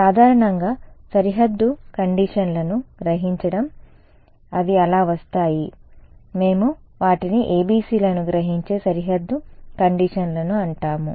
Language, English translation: Telugu, So, absorbing boundary conditions in general, so they come in so, we call them ABCs Absorbing Boundary Conditions ok